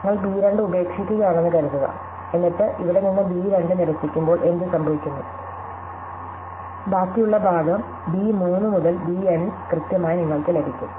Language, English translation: Malayalam, So, supposing you discard b 2, then what happens when you discard b 2 from here, you precisely get the remaining part which is b 3 to b N